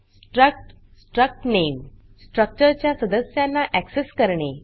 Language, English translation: Marathi, struct struct name To access members of a structure